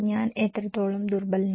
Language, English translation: Malayalam, What extent I am vulnerable